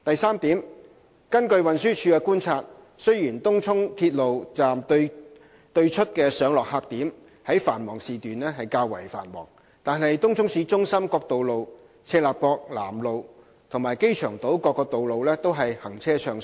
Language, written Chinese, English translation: Cantonese, 三根據運輸署的觀察，雖然東涌鐵路站對出的上落客點在繁忙時段較為繁忙，但東涌市中心各道路、赤鱲角南路及機場島各道路均行車暢順。, 3 According to TDs observation although the loading and unloading points near Tung Chung railway station are busy during peak hours the traffic on all roads in Tung Chung City Centre Chek Lap Kok South Road and Airport Island is smooth